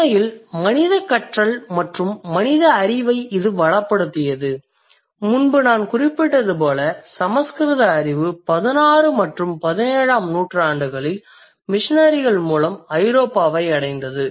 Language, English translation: Tamil, And as I have just mentioned a while ago, knowledge of Sanskrit reached Europe through missionaries in 16th and 17th century